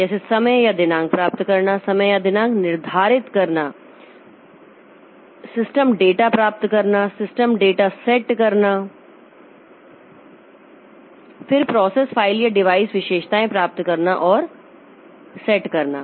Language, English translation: Hindi, Like get time or date, set time or date, get system data, set system data, then get and set process file or device attributes